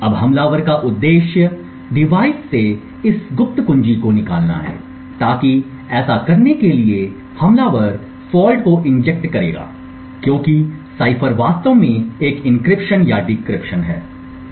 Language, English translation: Hindi, Now the objective for the attacker is to extract this secret key from the device in order to do this the attacker would inject faults as the cipher is actually doing an encryption or decryption